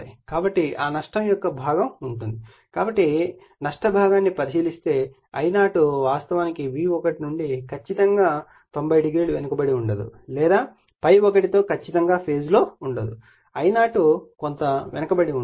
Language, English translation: Telugu, So, because of that some loss component will be there, if you consider the loss component then I0 actually is not exactly lagging 90 degree from V1 or not exactly is in phase with ∅ 1 there will be some lagging angle of I0